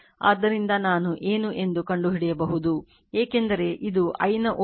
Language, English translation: Kannada, So, you can find out what is i right because this has this is a voltage source j omega of i and this j omega of i right